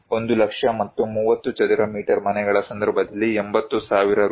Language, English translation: Kannada, 1 lakh in case of 40 square meter dwelling unit and Rs